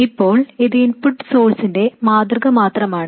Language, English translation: Malayalam, Now this is just a representation of the input source